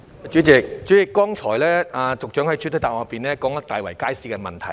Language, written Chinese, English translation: Cantonese, 主席，局長剛才在主體答覆中提到大圍街市的問題。, President the Secretary mentioned the problems with the Market in the main reply just now